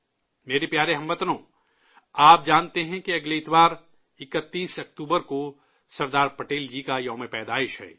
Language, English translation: Urdu, you are aware that next Sunday, the 31st of October is the birth anniversary of Sardar Patel ji